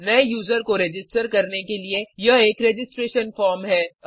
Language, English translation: Hindi, This is the registration form to register as a new user